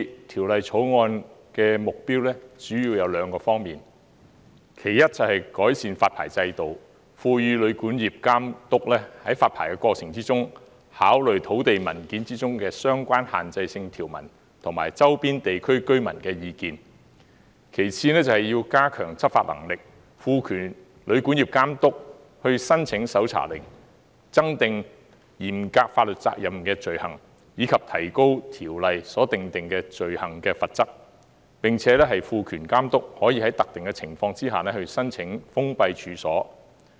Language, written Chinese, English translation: Cantonese, 《條例草案》的目標，主要有兩方面：第一，是改善發牌制度，賦予旅館業監督在發牌過程中，考慮土地文件中的相關限制性條文及周邊地區居民的意見；其次，是加強執法能力，賦權旅館業監督申請搜查令，增訂嚴格法律責任的罪行，以及提高《旅館業條例》所訂定的罪行的罰則，並且賦權監督可以在特權的情況下封閉處所。, The Bill has two major objectives First it seeks to improve the existing licensing regime by empowering the Hotel and Guesthouse Accommodation Authority to take into account the relevant restrictive provisions in land documents and local residents views in the licensing process . Second it seeks to facilitate enforcement actions by introducing a strict liability offence and increasing the penalties for offences stipulated under the Hotel and Guesthouse Accommodation Ordinance and empowering the Authority to apply for closure of premises in particular cases